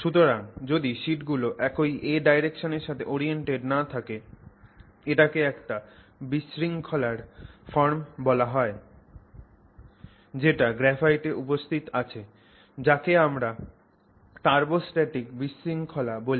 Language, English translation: Bengali, So, if they are not oriented in the same A direction, this is called a form of disorder that is present in graphite, it is called turbostratic disorder